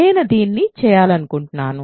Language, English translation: Telugu, So, this I want to do